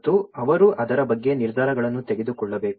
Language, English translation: Kannada, And they have to take decisions on that